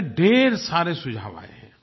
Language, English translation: Hindi, Means lots of suggestions have come